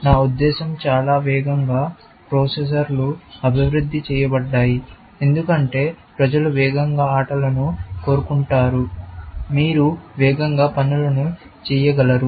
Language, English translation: Telugu, I mean, most of the faster processors, for example, are developed, because people want faster games; you should be able to do things faster